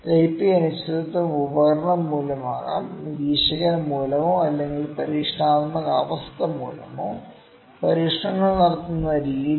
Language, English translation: Malayalam, Type A uncertainty may be due to the instrument again due to the observer or due to the experimental condition experiments the way experiments are conducted